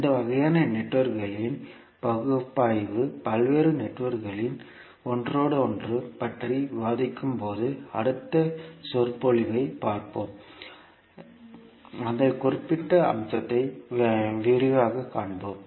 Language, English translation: Tamil, So analysis of these kind of networks we will see the next lecture when we discuss about the interconnection of various networks, we will see that particular aspect in detail